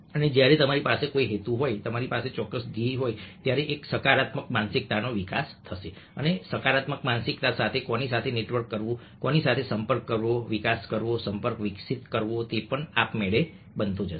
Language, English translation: Gujarati, so have a positive mind set and a positive mind set will be evolved when you have a purpose, you have a certain set of goals and, along with positive mindset, who to network with, who to contact, develop, evolve, contact with also will automatically happen